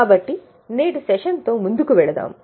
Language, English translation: Telugu, So, let us go ahead with today's session